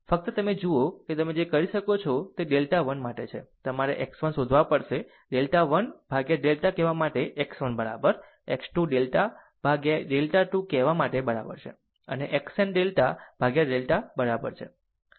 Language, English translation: Gujarati, Look ah just just you look that what you can do is for delta 1, for you have to find out x 1; x 1 is equal to say delta 1 upon delta, x 2 is equal to say delta 2 by delta and x n is equal to your delta n by delta, right